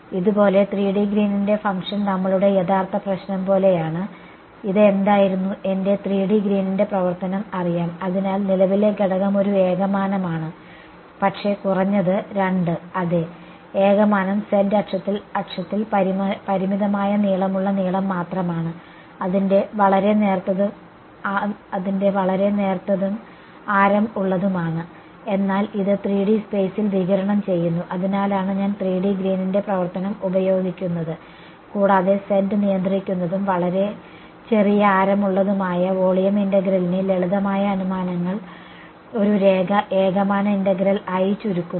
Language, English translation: Malayalam, 3D Green's function like this is like our original problem over here what was this was my 3D Green's function know; so, the current element is one dimensional, but at least two yes, one dimensional only a long of finite length along the z axis its very thin and radius, but its radiating in 3D space that is why I am using the 3D Green's function and making the simplifying assumptions of z directed and very small radius that volume integral boil down to a line one dimensional integral